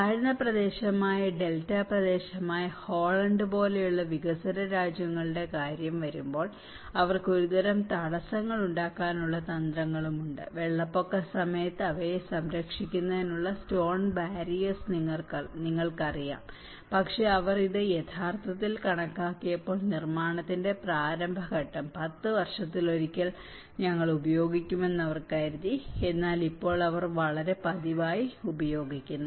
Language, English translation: Malayalam, And when it comes to the developing countries like Holland which is an Delta region in a low lying area and they also have strategies of making a kind of barriers you know the stone barriers to protect them during flood but when they actually calculated this in the initial stage of construction they thought once in a 10 years, we may use, but now they are using very frequently